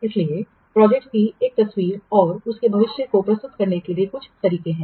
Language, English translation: Hindi, So there are some methods for presenting a picture of the project and its future